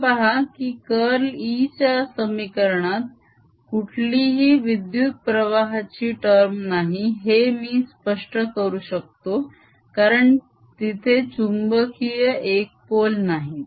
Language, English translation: Marathi, you see, i could explain the absence of any current in this equation, curl of e equation, because there are no magnetic poles